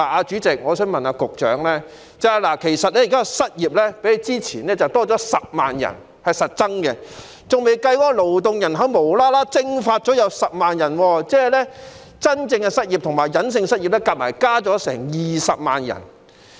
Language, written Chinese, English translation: Cantonese, 主席，我想問局長，現時失業人數較之前多了10萬人，是實質的增長，還未計算無故"蒸發"了的10萬名勞動人口，即顯性和隱性的失業人數合共增加了20萬人。, President I would like to ask the Secretary Now the number of unemployed persons has increased by 100 000 which is an actual growth not counting the 100 000 who have disappeared from the labour force for no reason . That means the total number of unemployed persons whether overt or hidden has increased by 200 000